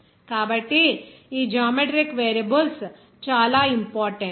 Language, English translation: Telugu, So, that is why these geometric variables are very important